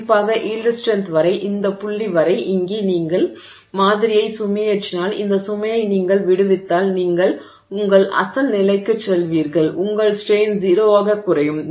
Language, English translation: Tamil, So, in particular up to the yield strength up to this point here, if you load the sample and if you release the, release the load you will go back to your original, your strain will drop back to zero